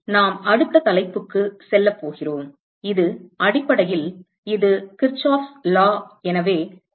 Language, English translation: Tamil, So, we going to move to the next topic, which is basically it is Kirchhoff’s law